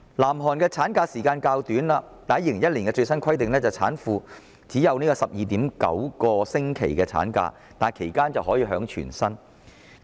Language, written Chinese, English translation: Cantonese, 南韓的產假期限雖然較短 ，2001 年的最新規定是產婦只可放取 12.9 星期產假，但其間卻可支取全額薪酬。, In the case of South Korea while the ML period is shorter and a pregnant woman is entitled to only 12.9 weeks of ML under the latest requirement in 2001 they are nonetheless entitled to full pay for the whole period